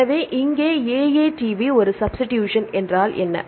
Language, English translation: Tamil, So, here AATV; what is a substitution